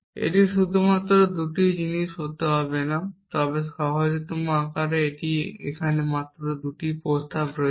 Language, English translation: Bengali, It does not have to be just 2 thing, but in the simplest form it has just 2 proposition here 2 propositions here